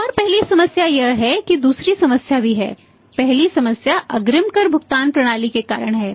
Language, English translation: Hindi, One problem is that and the first problem is there is a second problem; first problem is that is because of the advance tax payment system